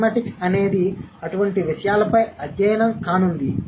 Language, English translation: Telugu, So, pragmatics is going to be a study of such things